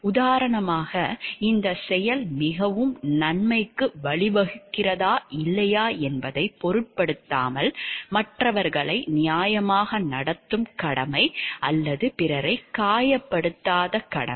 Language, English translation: Tamil, For example, the duty to treat others fairly or the duty not to injure others, regardless of whether this act leads to the most good or not